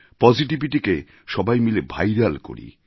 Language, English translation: Bengali, Let's come together to make positivity viral